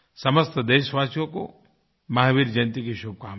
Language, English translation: Hindi, I extend felicitations to all on the occasion of Mahavir Jayanti